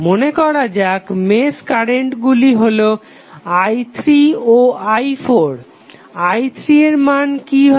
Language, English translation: Bengali, Let us say the mesh current is i 3 and i 4 now, what would be the value of i 3